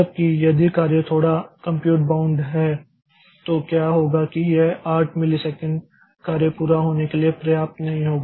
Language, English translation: Hindi, Whereas if the job is a bit compute mount then what will happen is that this 5 it will this 8 millisecond will not be sufficient for the job to be completed